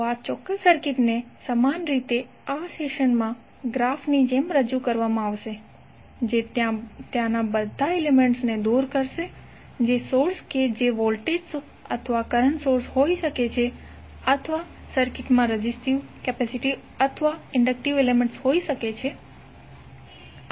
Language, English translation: Gujarati, So this particular circuit will be equally represented as a graph in this session which will remove all the elements there may the sources that may be the voltage or current sources or the resistive, capacitive or inductive elements in the circuit